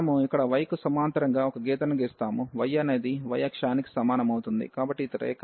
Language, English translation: Telugu, So, we will draw a line here parallel to the y, y is equal to y axis, so this is the line